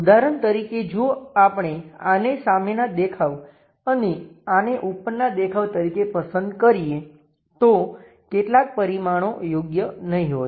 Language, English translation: Gujarati, For example, if we are going to pick this one as the front view and this one as the top view, some of the dimensions might not be appropriate